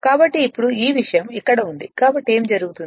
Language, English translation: Telugu, So now how now whatever this thing it is here so what will happen